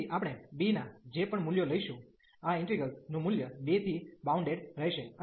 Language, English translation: Gujarati, So, whatever values of b we take, the value of this integral will be bounded by 2